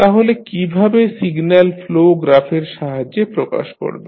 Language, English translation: Bengali, So, how you will represent with a help of signal flow graph